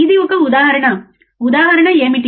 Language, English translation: Telugu, This is an example, what is the example